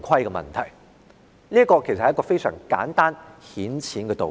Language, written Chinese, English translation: Cantonese, 這是一個非常簡單顯淺的道理。, The reasoning here is pretty simple and straightforward